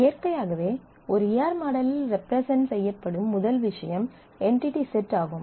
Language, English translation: Tamil, Naturally the first thing to represent in an E R model is the entity set